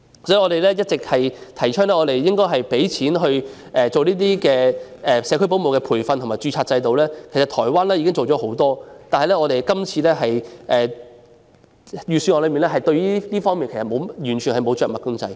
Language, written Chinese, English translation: Cantonese, 所以，我們一直提倡應該投放資源為社區保姆提供培訓及建立註冊制度，台灣在這方面做了很多工作，但今年預算案就這方面完全沒有着墨。, Therefore we have always advocated that resources should be invested to provide training and establish a registration system for home - based child carers . In this connection Taiwan has done a lot in this respect but nothing has been mentioned in the Budget